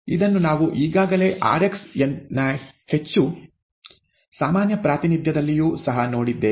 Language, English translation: Kannada, This we have already seen earlier, where even in a more generic representation of rx